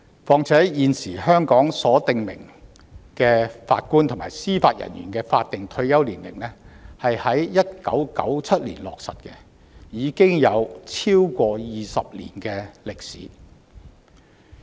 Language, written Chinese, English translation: Cantonese, 況且，現時香港所訂明的法官及司法人員法定退休年齡是在1997年落實，已有超過20年歷史。, Further the statutory retirement ages for Judges and Judicial Officers currently stipulated in Hong Kong was implemented in 1997 with a history of more than two decades